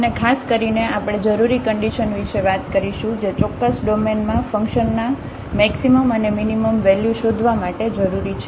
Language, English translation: Gujarati, And in particular we will be talking about the necessary conditions that are required to find the maximum and minimum values of the function in a certain domain